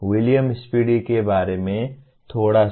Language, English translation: Hindi, A little bit about William Spady